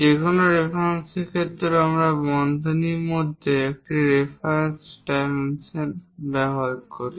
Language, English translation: Bengali, With respect to any reference we use a reference dimensions within parenthesis